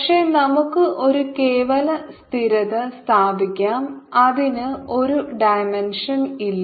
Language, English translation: Malayalam, but it is put a absolute constant in the sense that has no dimension